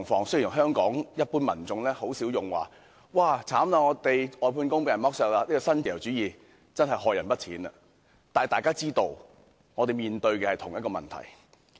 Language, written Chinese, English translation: Cantonese, 雖然香港一般民眾很少說外判工被剝削或這種新自由主義真的害人不淺，但大家也知道我們面對的是同一問題。, While the general public in Hong Kong seldom talk about the exploitation of outsourced workers or the great harm actually done by such neo - liberalism we all know that we face the same issue